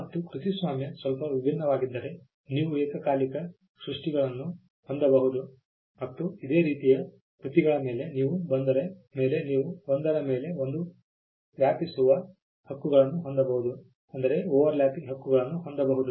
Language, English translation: Kannada, Copyright is slightly different you can have simultaneous creations and you can have overlapping rights over similar works